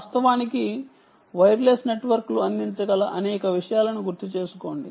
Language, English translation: Telugu, recall many things ah that wireless networks can actually provide ah